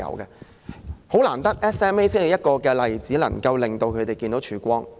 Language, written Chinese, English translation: Cantonese, 十分難得的是 ，SMA 的例子能讓他們看到曙光。, The example of SMA gives them a ray of hope and it is something that we really cherished